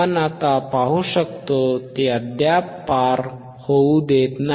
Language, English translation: Marathi, You can see now, still it is still not allowing to pass